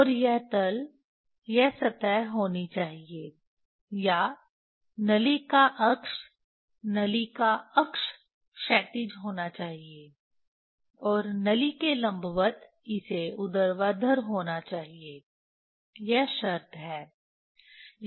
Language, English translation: Hindi, And this plane should be this surface or axis of the tube axis of the tube has to be horizontal, and this perpendicular to the tube it has to be vertical that is the condition